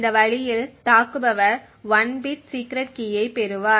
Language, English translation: Tamil, With this way the attacker would obtain 1 bit of the secret key